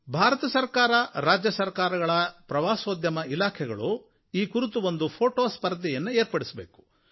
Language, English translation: Kannada, I would like the Tourism Department of the Government of India and the State Government to hold a photo competition on this occasion